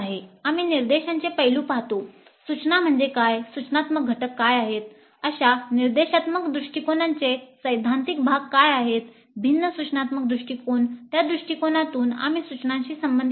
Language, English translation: Marathi, We look at the aspects of instruction, what is instruction, what are the instructional components, what are the theoretical basis for such instructional approaches, different instructional approaches, very broadly in that module we will be concerned with instruction